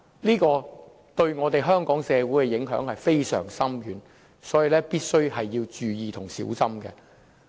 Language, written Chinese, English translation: Cantonese, 這項修改對香港社會的影響非常深遠，所以大家必須注意和小心。, This amendment will have far - reaching implications on Hong Kong so Members must remain vigilant and be cautious